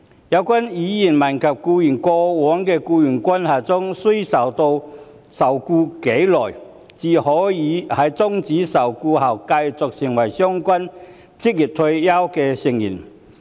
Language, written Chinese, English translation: Cantonese, 有關委員問及僱員在過往的僱傭關係中須受僱多久，才可以在終止受僱後繼續作為相關職業退休計劃的成員。, Members have enquired about the required length of past employment to enable an employee to remain a member of the OR Scheme despite cessation of employment